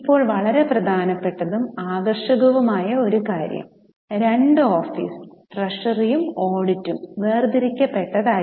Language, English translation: Malayalam, Now, one very important and fascinating part was segregation of two offices, treasury and audit